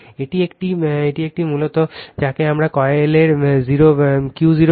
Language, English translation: Bengali, It is a it is basically your what we call the Q 0 of the coil